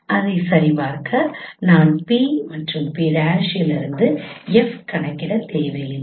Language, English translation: Tamil, I did not compute f from p and p prime to check it